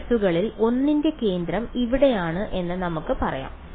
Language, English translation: Malayalam, Where m let us say is the centre of one of these pulses